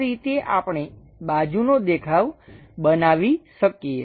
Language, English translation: Gujarati, This is the way, we can construct the side view